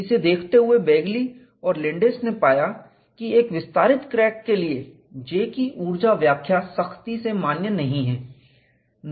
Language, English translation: Hindi, In view of that, Begly and Landes recognized that the energy interpretation of J is not strictly valid for an extending crack